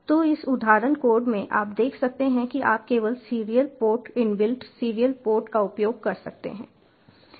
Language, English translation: Hindi, so in this example code you can see, you just use a serial port, the inbuilt serial port